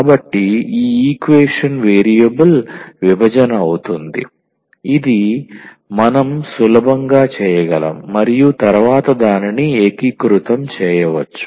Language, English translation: Telugu, So, this equation is variable separable which we can easily do and then we can integrate it